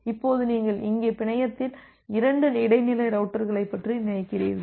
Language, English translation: Tamil, Now, you just think of two intermediate routers here in the network